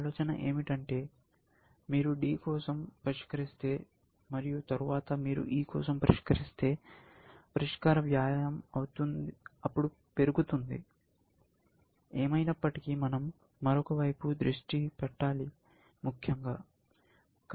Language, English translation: Telugu, The idea being that if you solve for D and then, if you solve for E, then the solution cost shoots up then, we will anyway, have to shift attention to another side, essentially